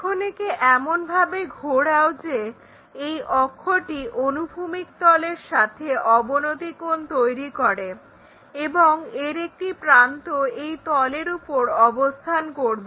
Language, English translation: Bengali, Now, rotate in such a way that this axis makes an inclination angle with the plane, horizontal plane and one of the edges will be resting on this plane